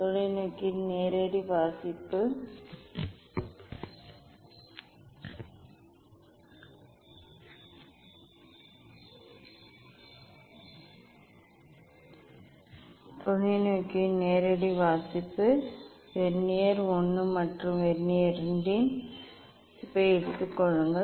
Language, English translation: Tamil, direct reading of the telescope take reading of Vernier I and Vernier II find out this a and b for Vernier I and Vernier II